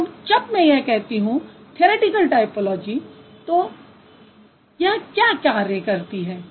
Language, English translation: Hindi, So when I say theoretical typology, what does it do